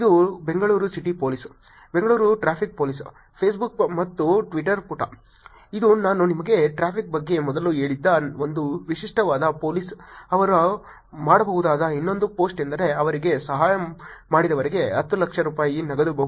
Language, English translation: Kannada, This is Bangalore City Police, Bangalore Traffic Police, Facebook and Twitter page, this is a typical police I told you about traffic earlier the other post that they could do is something like this which is cash reward of Rupees 10 lakh for helping them